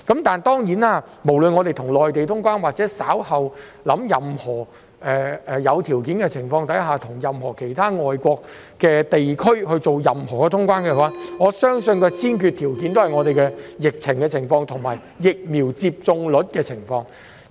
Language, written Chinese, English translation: Cantonese, 當然，不論香港是要與內地通關，或是稍後在有條件的情況下與其他國外地區通關，我相信先決條件均繫於香港的疫情和疫苗接種率。, Undoubtedly regardless of whether Hong Kong is to resume travel with the Mainland or conditionally with other overseas places later I believe it is determined by the epidemic situation and the vaccination rate in Hong Kong